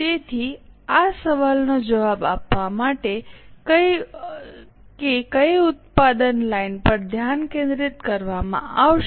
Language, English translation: Gujarati, So, to respond to this question, which product line will be focused